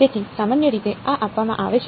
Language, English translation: Gujarati, So, typically this is given